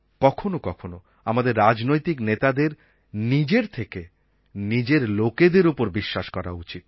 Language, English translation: Bengali, At times we political leaders should trust our people more than we trust ourselves